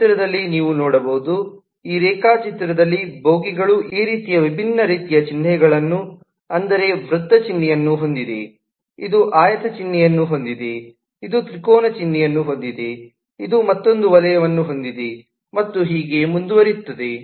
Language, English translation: Kannada, it is like, let us say, you can see in this diagram, in this picture, that the bogies have different kinds of symbol, like this as a circle symbol, this has a rectangle symbol, this has a triangle symbol, this has another circle symbol, and so on